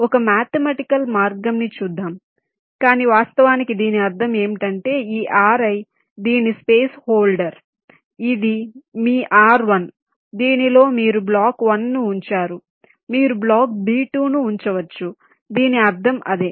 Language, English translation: Telugu, see, this is a mathematical o f saying it, but actually what it means is that this r i is this space holder, this is your r one on which you place block one, one which you place block b one